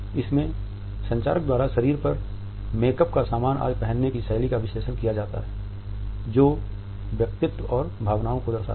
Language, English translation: Hindi, Artifacts analyzed communicator’s sense of dressing style of putting makeup accessories on body etcetera which become a statement of personality and emotions